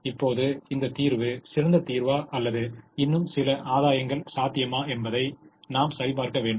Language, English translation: Tamil, now we need to check whether this solution is the best solution or weather some more gain is possible